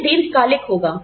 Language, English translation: Hindi, It will be sustainable